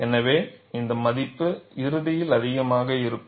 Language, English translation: Tamil, So, this value will be eventually higher